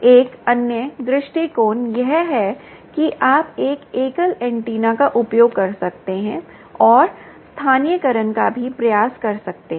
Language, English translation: Hindi, another approach is you can use a single antenna and try also localization